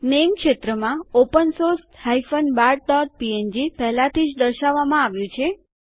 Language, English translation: Gujarati, In the Name field, open source bart.png is already displayed